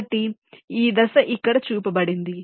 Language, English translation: Telugu, so this step is shown here